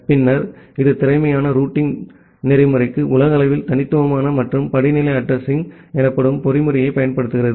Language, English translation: Tamil, Then, it uses a mechanism called globally unique and hierarchical addressing for efficient routing mechanism